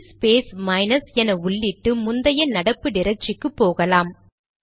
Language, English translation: Tamil, Now, you may type cd space minus and the prompt to go back to the previous working directory